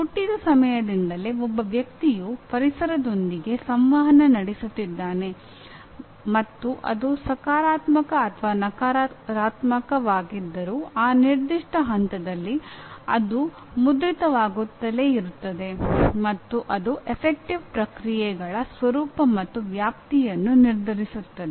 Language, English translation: Kannada, A person’s past experience in interacting with the environment because right from the time of birth, a person is interacting with environment; and whether it is positive or negative at that particular point keeps on getting imprinted and that is what decides the nature and scope of affective responses